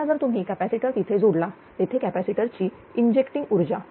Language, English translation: Marathi, Now if if you have connected a capacitor here; there is capacitor injecting power